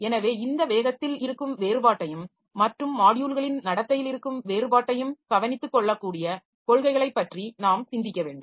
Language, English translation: Tamil, So, we have to think about the policies by which we can take care of this difference in speed and difference in behavior of these modules and all